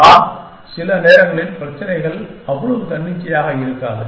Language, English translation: Tamil, But, sometimes the problems are not so arbitrary